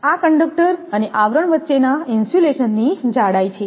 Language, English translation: Gujarati, This is the thickness of insulation between conductor and sheath